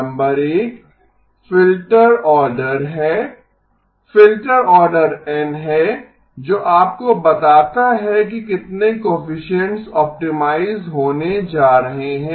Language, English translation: Hindi, Number 1 is the filter order, filter order N that tells you how many coefficients are going to be optimized